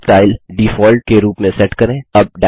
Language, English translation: Hindi, Set Next Style as Default